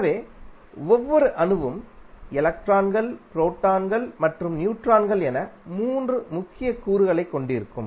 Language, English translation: Tamil, So, basically the the each atom will consist of 3 major elements that are electron, proton, and neutrons